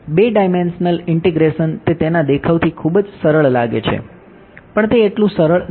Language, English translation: Gujarati, 2 dimensional integration does it look very easy from the looks of it no it does not seem very easy